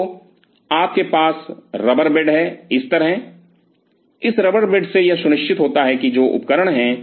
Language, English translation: Hindi, So, you have the rubber bed like this, this rubber bed ensures that the instrument which are there